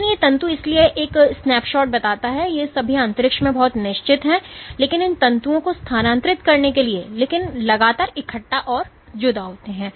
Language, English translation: Hindi, But these filaments; so this is a snapshot suggesting that these are all very fixed in space, but in order to move these filaments, but continuously assemble and disassemble